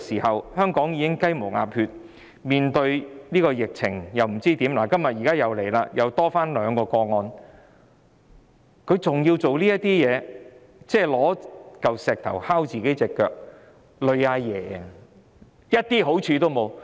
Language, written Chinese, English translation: Cantonese, 香港已經"雞毛鴨血"，面對疫情不知如何是好，今天又新增兩宗確診個案，她還要做這些事情，搬起石頭砸自己的腳，連累"阿爺"，一點好處也沒有。, Hong Kong is in big trouble and does not know what to do in the face of the epidemic . Today there are two new confirmed cases . Even so she still takes forward these initiatives